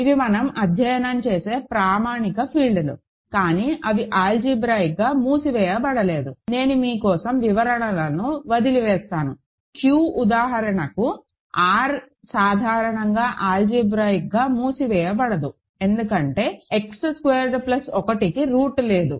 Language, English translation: Telugu, So, these are standard fields that we study, but they are not algebraically closed, I will leave the explanations for you Q for example, R in general is not algebraically closed because X squared plus 1 has no root